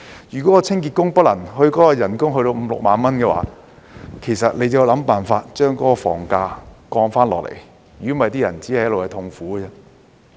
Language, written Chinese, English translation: Cantonese, 如果清潔工的人工不可達到五六萬元，便要想辦法降低房價，否則那些人只會一直痛苦。, If it is impossible for cleaners to earn 50,000 to 60,000 a month we have to figure out ways to lower property prices or else these people will keep suffering